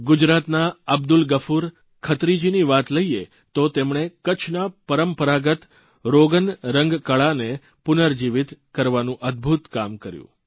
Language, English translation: Gujarati, Take the case of Abdul Ghafoor Khatri of Gujarat, whohas done an amazing job of reviving the traditional Rogan painting form of Kutch